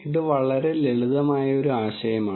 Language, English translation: Malayalam, It is a very simple idea